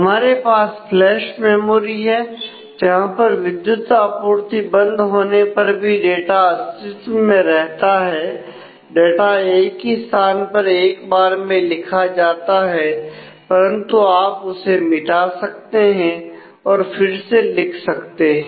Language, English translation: Hindi, We have flash memory where the data can survive across power failure; it can be they had data can be written at a location only once, but you can erase and write it again